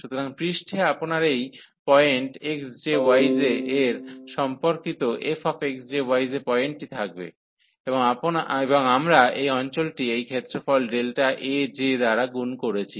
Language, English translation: Bengali, So, on the surface you will have this point there f x j, y j corresponding to this point x j, y j and we have multiplied by this area, this delta A j